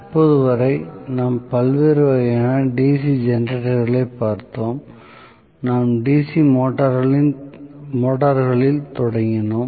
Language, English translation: Tamil, Until now, we had seen the different types of DC generators; we just started on the DC motors in the last class